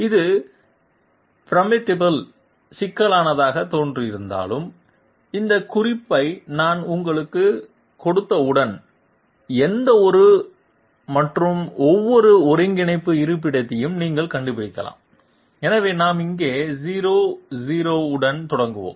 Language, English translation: Tamil, And this one though it looks formidably complex, once I give you this hint you will say oh give me those radii of those circles and I can find out any and every coordinate location, so we will start with 00 here